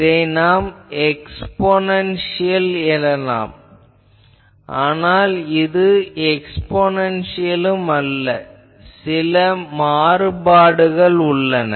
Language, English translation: Tamil, And also you see that typically it can be said exponential, but it is not exponential there are deviations